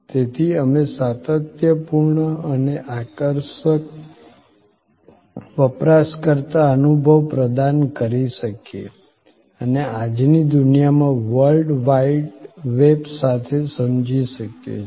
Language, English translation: Gujarati, So, that we can provide consistent and compelling user experience and understand that in today's world with the World Wide Web